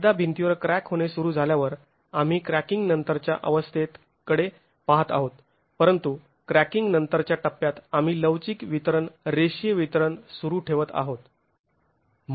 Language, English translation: Marathi, Once the wall starts cracking, we are looking at the post cracking phase but at the post cracking phase we are still continuing with an elastic distribution, linear distribution of stresses